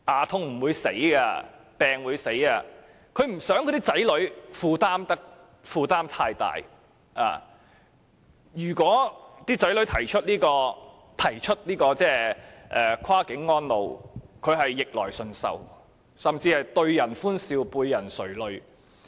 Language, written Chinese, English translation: Cantonese, 他們不想子女負擔太大，如果子女提出跨境安老，他們只會逆來順受，甚至對人歡笑背人垂淚。, They do not want to increase the burden of their children so they would grin and accept unwillingly if their children suggest moving them to care homes on the Mainland